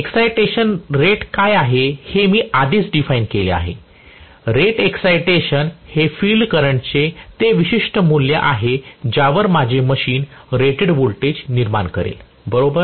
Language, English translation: Marathi, I have defined already what is rated excitation; rated excitation is that particular value of field current at which my machine will be generating rated voltage, Right